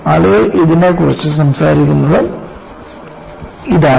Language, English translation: Malayalam, This is what people talk about it